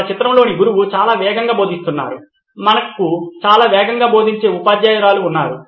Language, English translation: Telugu, The teacher in our picture is teaching very fast, we had a fast teacher fast teaching teacher